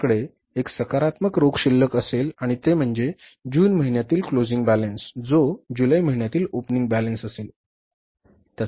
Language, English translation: Marathi, We will have a positive cash balance at the end of June and that will be the closing balance of the month of June which will become the opening balance of the month of July